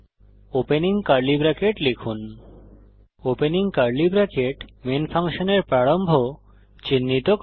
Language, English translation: Bengali, Type opening curly bracket { The opening curly bracket marks the beginning of the function main